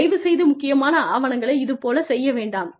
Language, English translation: Tamil, Please do not do this, with important documents